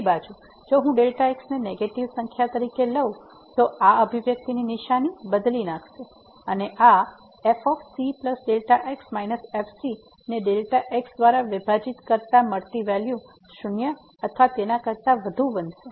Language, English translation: Gujarati, On the other hand if I take as a negative number then this expression will change the sign and this divided by will become greater than equal to 0